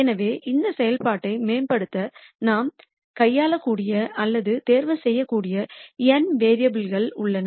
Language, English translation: Tamil, So, there are n variables that we could manipulate or choose to optimize this function z